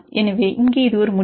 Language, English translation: Tamil, So, here this is a result